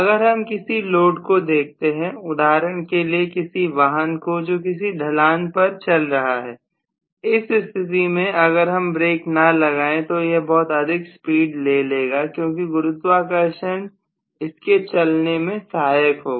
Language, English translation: Hindi, So if you are looking at load which is actually or the vehicle for example a vehicle is going down the gradient, in that case again, unless you put a brake it will just go in extremely large speed because gravity aids the motion